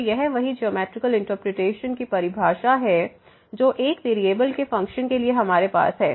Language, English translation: Hindi, So, this is the same definition same geometrical interpretation as we have for the function of one variable